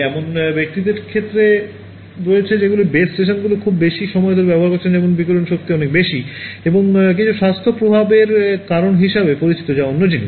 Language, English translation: Bengali, There are reported cases of people whose have spent a lot of time close to base stations where the radiated power is much higher and that has known to cause some health effects that is another thing